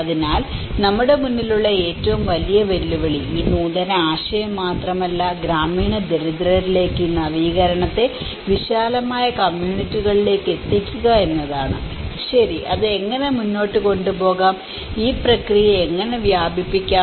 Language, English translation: Malayalam, So, in front of us, the biggest challenge is not just only an innovation but taking this innovation to the rural poor to the wider communities, okay so, how to take it further and how to diffuse this process